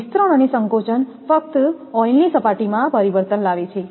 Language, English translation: Gujarati, The expansions and contraction merely produce changes in the oil level